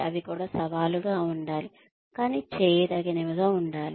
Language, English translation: Telugu, They should also be challenging, but doable